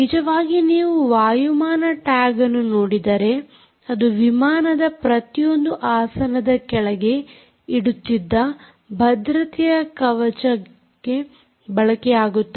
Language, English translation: Kannada, in fact, if you look at the aviation tags, these tags are used for the safety vests which are below each and every seat of an aircraft